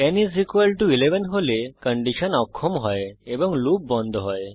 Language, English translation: Bengali, When n = 11, the condition fails and the loop stops